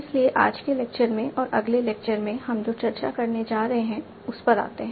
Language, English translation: Hindi, So coming to what we are going to discuss in today's lecture and the next lecture